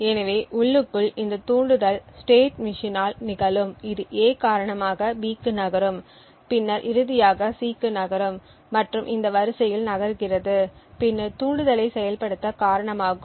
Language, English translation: Tamil, So internally this trigger will occur by the state machine which moves due to A then to B and then finally to C and moving to in this sequence would then cost the trigger to be activated